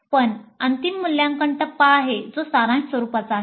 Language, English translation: Marathi, But there is a final evaluate phase which is summative in nature